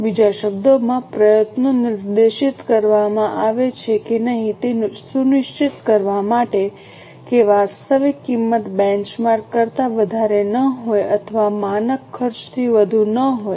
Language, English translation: Gujarati, In other words, efforts are directed to ensure that actual cost does not exceed the benchmark or does not exceed the standard cost